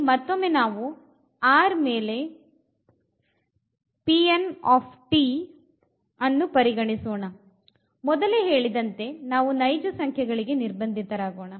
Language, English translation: Kannada, So, here we are considering this P n t again over R as I said we will be restricting to a set of real number here